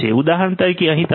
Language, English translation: Gujarati, For example, over here you can have is S 10